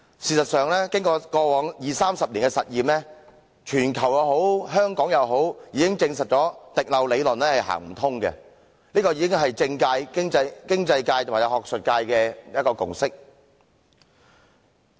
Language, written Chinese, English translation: Cantonese, 事實上，經過過往二三十年的實驗，無論在全球或香港，已證實"滴漏理論"是行不通的，這已是政界、經濟界和學術界的共識。, After two or three decades of experimenting with the trickle - down theory people whether in Hong Kong or the world have proved that the theory actually does not work . This is a consensus reached in the political economic and academic circles